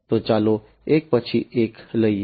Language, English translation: Gujarati, So, let us take up one by one